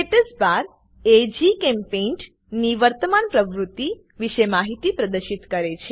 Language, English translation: Gujarati, Statusbar displays information about current GChemPaint activity